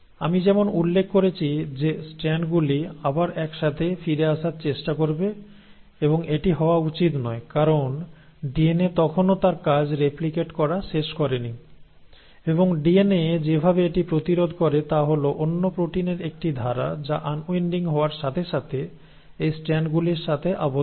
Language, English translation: Bengali, Now as I mentioned the strands will try to come back together and that should not happen because the DNA has still not finished its job of replicating it and the way DNA prevents this is by a clause of another proteins which as soon as the unwinding has happened bind to these strands